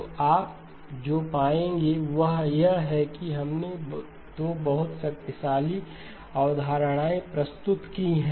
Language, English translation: Hindi, So what you will find is that we have introduced 2 very powerful concepts